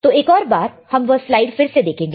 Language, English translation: Hindi, So, let us see the slide